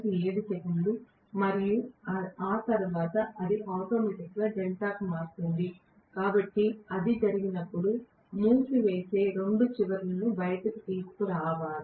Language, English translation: Telugu, 7 seconds and after that automatically it will switch over to delta, so when that happens both ends of the winding should be brought out, I hope you understand